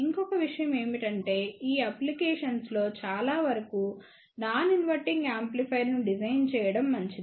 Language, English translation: Telugu, Another thing which I would generally recommend that for most of these application is better to design non inverting amplifier